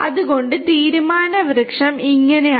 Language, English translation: Malayalam, So, this is how the decision tree looks like